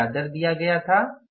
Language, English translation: Hindi, What was the rate given to us